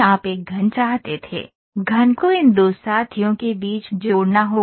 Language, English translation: Hindi, You wanted a cube, cube has to be linked between these two fellows